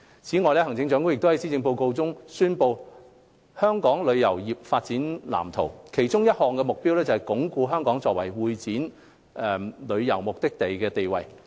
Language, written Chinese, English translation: Cantonese, 此外，行政長官亦於施政報告中宣布香港旅遊業發展藍圖，其中一項目標是鞏固香港作為會展旅遊目的地的地位。, In addition the Chief Executive also announced in the Policy Address the Development Blueprint for Hong Kongs Tourism Industry in which one of the implementation goals is to consolidate Hong Kongs status as a destination for meeting incentive travels conventions and exhibitions MICE